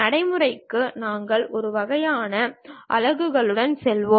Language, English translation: Tamil, For practice we will go with one kind of system of units